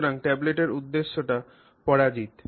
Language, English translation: Bengali, So, then the purpose of the tablet is defeated